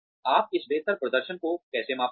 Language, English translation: Hindi, How will you measure this better performance